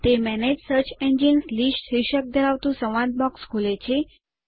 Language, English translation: Gujarati, This opens a dialog box entitled Manage Search Engine list